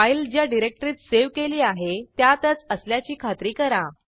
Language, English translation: Marathi, Make sure that you are in the directory in which you have saved your file